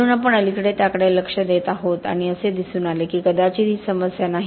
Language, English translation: Marathi, So we have recently been looking into that and it turns out that maybe it is not a problem